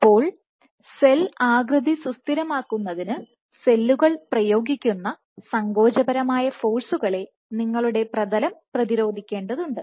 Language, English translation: Malayalam, So, your substrate has to resist the contractile forces that cells exert in order to stabilize cell shape